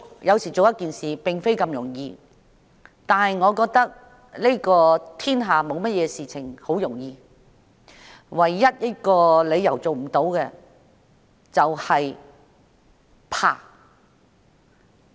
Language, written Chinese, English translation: Cantonese, 要做一件事情，並非那麼容易，但我認為天下沒有事情是容易的，唯有一個理由做不到，就是恐懼。, It is by no means easy to achieve something but I do not think there is anything easy in the world . The only reason for failure to achieve anything is fear